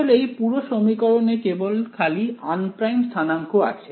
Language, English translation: Bengali, In fact, this whole equation has only unprimed coordinates in it ok